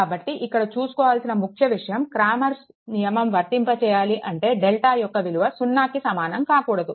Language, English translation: Telugu, So, only thing is that it is evident that cramers rule applies only when you are what you call, that your delta not is equal to 0